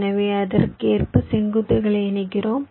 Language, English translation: Tamil, you connect the vertices correspondingly